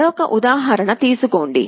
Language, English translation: Telugu, Take another example